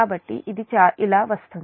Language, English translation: Telugu, so this is equivalent to